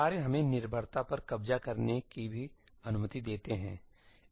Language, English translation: Hindi, Tasks also allow us to capture dependencies